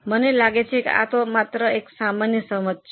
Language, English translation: Gujarati, I think it's just a common sense